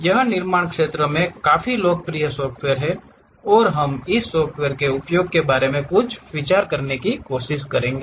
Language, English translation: Hindi, This is a quite popular software in manufacturing sector, and we will try to have some idea about this software uses also